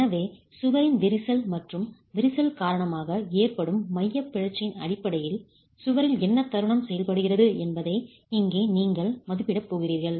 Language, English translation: Tamil, So, here you're going to be estimating what the moment is acting on the wall, which is basically due to the cracking of the wall and the eccentricity cost because of the cracking